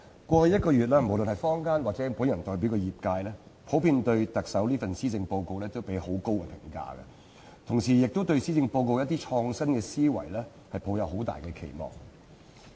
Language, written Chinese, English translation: Cantonese, 過去一個月，無論是坊間，還是我代表的業界，普遍對特首這份施政報告給予很高評價，同時亦對施政報告的一些創新思維抱有很大期望。, Over the past one month the community and the sector I represent have generally had a very high opinion of the Chief Executives Policy Address and they have at the same time placed great expectations on certain creative ideas in the Policy Address